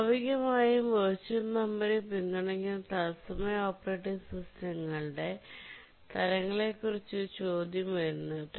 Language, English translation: Malayalam, Naturally a question arises which are the types of the real time operating systems which support virtual memory